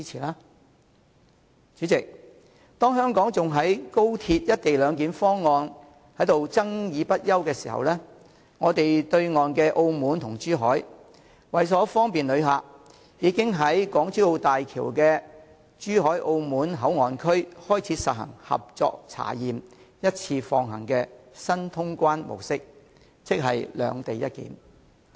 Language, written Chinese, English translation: Cantonese, 代理主席，當香港還在就高鐵的"一地兩檢"方案爭論不休時，對岸的澳門和珠海，為了方便旅客，已在港珠澳大橋的珠海澳門口岸區開始實施"合作查驗，一次放行"的新通關模式，即"兩地一檢"。, Deputy President when we are still engaging in heated debates on the co - location arrangement for XRL in Hong Kong our neighbouring cities Macao and Zhuhai have already adopted a joint boundary control system at the Zhuhai and Macao Port Area of the Hong Kong - Zhuhai - Macao Bridge HZMB so as to bring the greatest convenience to travellers